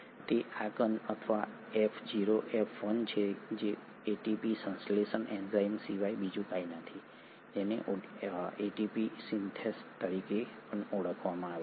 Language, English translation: Gujarati, It is this particle or F0, F1 it is nothing but the ATP synthesising enzyme, also called as ATP Synthase